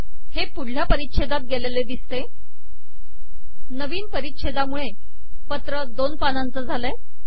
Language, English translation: Marathi, You can see that this has gone to a new paragraph With a new paragraph, the letter has gone to two pages